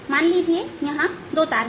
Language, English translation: Hindi, so suppose there are two strings